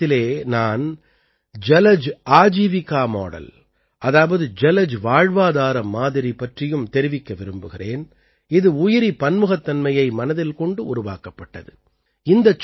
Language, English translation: Tamil, Here I would like to discuss the 'Jalaj Ajeevika Model', which has been prepared keeping Biodiversity in mind